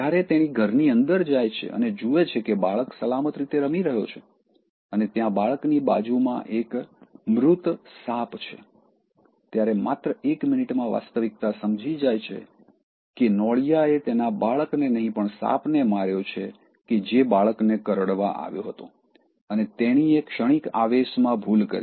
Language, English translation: Gujarati, Until she goes inside and sees that the child is playing safely and there is a dead snake on the side of the child, it takes just one more minute to have the actual realization that, it is not the mongoose, but the snake that was killed by the mongoose, so that came to bite the child and that spur of the moment she made the mistake